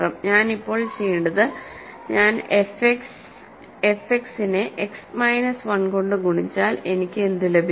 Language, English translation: Malayalam, But what I will do now is if I multiply f X by X minus 1, what do I get